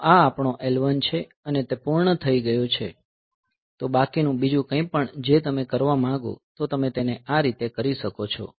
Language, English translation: Gujarati, So, this is our L 1, this is our L 1 and this is over, so rest of anything any other thing that you want to do, so you can do it like this